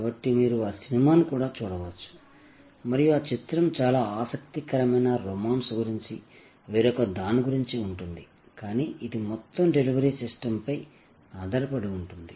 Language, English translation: Telugu, So, you can also look at that movie and that movie is about something else about a very interesting romance, but it is based on this entire delivery system